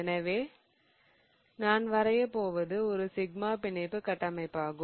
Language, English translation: Tamil, So, what I am going to draw is a sigma bond framework